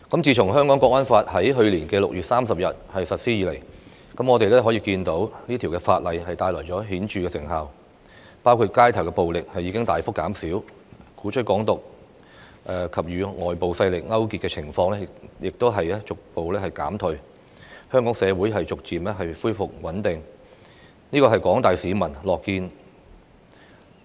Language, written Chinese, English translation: Cantonese, 自從《香港國安法》在去年6月30日實施以來，我們可以看到這條法例帶來顯著的成效，包括街頭暴力事件大幅減少，鼓吹"港獨"和勾結外國勢力的情況逐步減退，香港社會逐漸回復穩定，這是廣大市民所樂見的。, The National Security Law has been remarkably effective since its implementation on 30 June last year . Street violence is significantly on a decline advocacies of Hong Kong independence and collusion with foreign forces have progressively subsided . Hong Kong is gradually regaining stability this is what the general public want to see